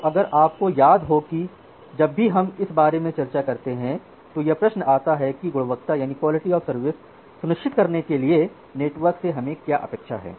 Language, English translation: Hindi, So, if you remember whenever we discussed about that what is our expectation from the network to ensure quality of service